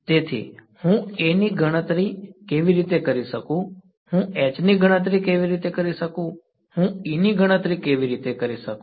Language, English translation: Gujarati, So, how can I calculate A, how can I calculate H, how can I calculate E